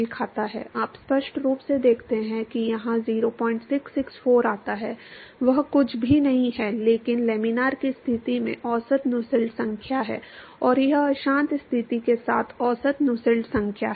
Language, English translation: Hindi, 664 that comes here, that is nothing, but the average Nusselt number in the laminar condition, and this is the average Nusselt number with the turbulent condition